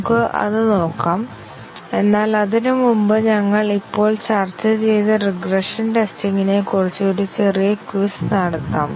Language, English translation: Malayalam, Let us look at that, but before that let us have small a quiz on regression testing which we just discussed